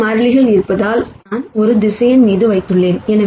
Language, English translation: Tamil, And since there are k constants, which I have put in a vector